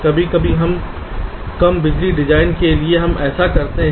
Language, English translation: Hindi, sometimes where low power design, we do that ok